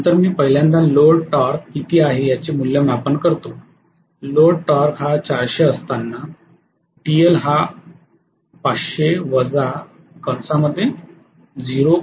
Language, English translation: Marathi, So I should first of all calculate what is the load torque, load torque at 400 will be 500 minus 0